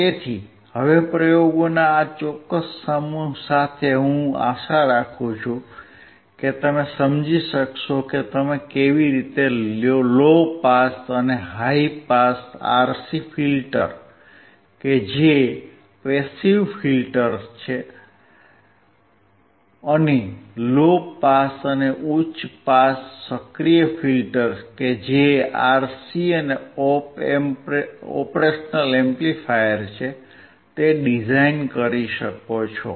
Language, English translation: Gujarati, So now with this particular set of experiments, I hope that you are able to understand how you can design a low pass and high pass RC filters that is passive filters, and low pass and high pass active filters that is RC and op amp